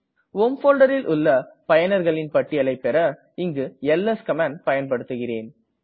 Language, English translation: Tamil, To show the list of users in the home folder ls command is used